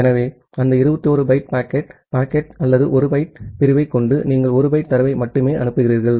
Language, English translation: Tamil, So, with that 21 byte of packet, packet or rather 1 byte of segment, you are sending only 1 byte of data